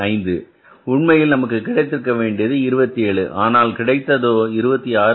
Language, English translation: Tamil, It was expected to be 27 but it has come up as 26